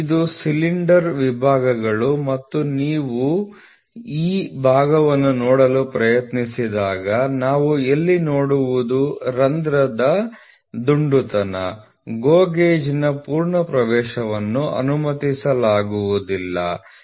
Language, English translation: Kannada, This is a cylinder section of these are sections of the cylinder and when you try to see this portion we what we see here is going to be the roundness of a hole, a fully full entry of GO gauge will not be allowed